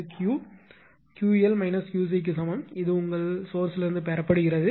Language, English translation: Tamil, So, Q is equal to this 1 Q l minus Q c this much is drawing from the your source